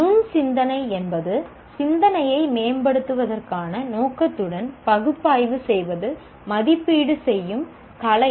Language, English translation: Tamil, Critical thinking is the art of analyzing and evaluating thinking with a view to improve in it